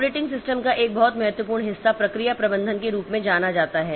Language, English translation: Hindi, A very important part of operating system is known as the process management